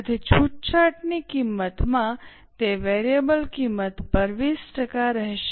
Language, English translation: Gujarati, So, in case of concessional price, it will be 20% on variable cost of sales